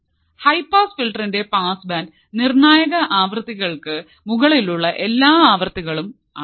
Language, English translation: Malayalam, The passband of a high pass filter is all frequencies above critical frequencies